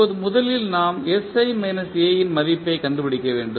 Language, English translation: Tamil, Now, first we need to find out the value of sI minus A